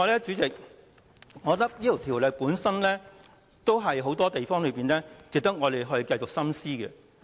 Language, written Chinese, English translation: Cantonese, 主席，我認為這項《條例草案》有很多方面值得我們繼續深思。, President I think that many aspects of the Bill warrant further thorough consideration by us